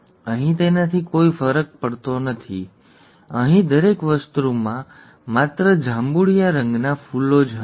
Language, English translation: Gujarati, Here it does not make a difference; here everything had only purple flowers